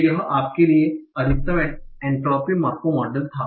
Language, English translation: Hindi, So this was maximum entropy macro model for you